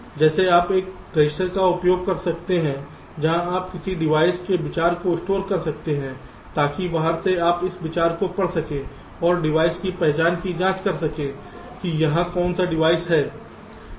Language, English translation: Hindi, like you can use a register very stored, the idea of a device, so that from outside you can read out the idea and check the identity of the device, which device it is ok